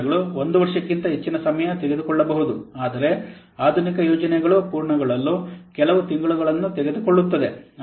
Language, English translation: Kannada, Some projects may take more than one year, but modern projects they typically take a few months to complete